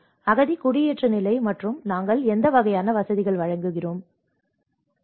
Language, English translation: Tamil, The refugee, immigration status and what kind of facilities we provide and not